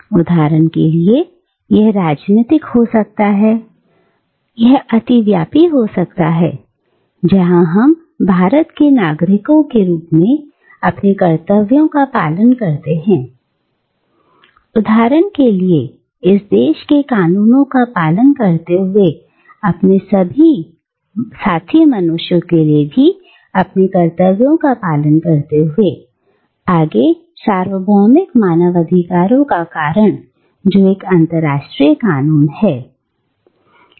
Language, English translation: Hindi, So, for instance, it can be political, this overlapping, where we act out our duties as citizens of India, for instance, by abiding by the laws of this country, while also performing our duties to our fellow human beings, by forwarding the cause of universal human rights which is an International Law, right